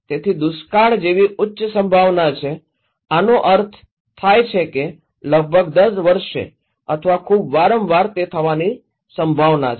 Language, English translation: Gujarati, So, drought which is high probability, this means happening almost every year or very frequently